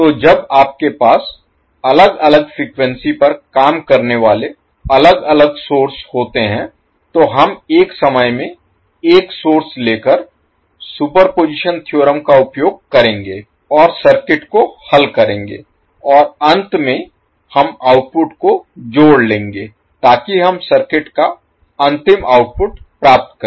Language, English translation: Hindi, So when you have different sources operating at different frequencies we will utilize the superposition theorem by taking one source at a time and solve the circuit and finally we sum up the output so that we get the final output of the circuit